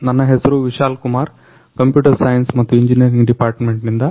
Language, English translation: Kannada, My name is Vishal Kumar from Computer Science and Engineering department